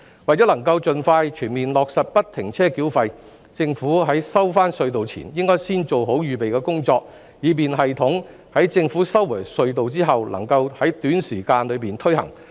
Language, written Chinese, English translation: Cantonese, 為能夠盡快全面落實不停車繳費，政府在收回隧道前應先做好預備工作，以便系統在政府收回隧道後能夠在短時間內推行。, In order to fully implement FFTS expeditiously the Government should carry out preparatory work properly before taking over the tunnels so that the system can be implemented within a short time after the takeover